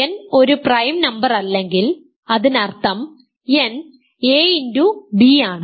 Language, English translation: Malayalam, So, if n is a prime number n is an integer